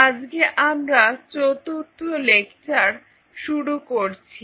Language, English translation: Bengali, So, today we are into the fifth lecture of week 3